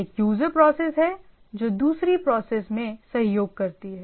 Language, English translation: Hindi, So, it is a so, user process cooperate with another process